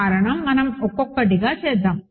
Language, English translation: Telugu, The reason is we will just do one by one